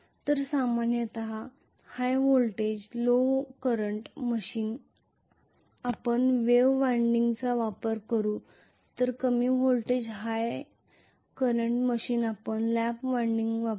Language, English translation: Marathi, So normally a high voltage low current machine we will use wave winding whereas low voltage high current machine we will use lap winding,ok